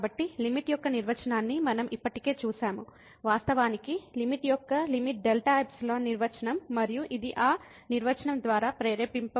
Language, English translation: Telugu, So, we have already seen the definition of a limit indeed the limit delta epsilon definition of limit and this is motivated by that definitions